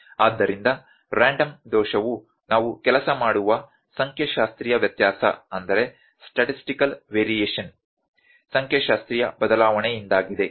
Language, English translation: Kannada, So, random error is due to the statistical variation, statistical variation which we work on